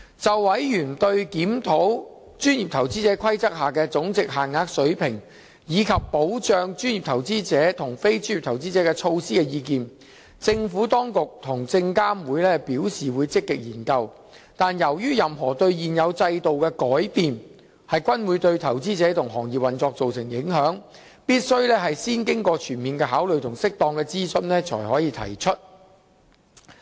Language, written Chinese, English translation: Cantonese, 就委員對檢討《規則》下的總值限額水平，以及保障專業投資者及非專業投資者的措施的意見，政府當局及證監會表示會積極研究，但由於任何對現有制度的改變均會對投資者及行業運作造成影響，必須先經過全面考慮及適當諮詢才可提出。, With regard to members comments on reviewing the levels of monetary threshold under the PI Rules and on the protective measures for professional investors and non - professional investors the Administration and SFC have advised that they will actively study the issues . However as any alterations to the existing regime will have considerable impact on investors and the operation of the industry they must be considered in a holistic manner and raised after a due consultation process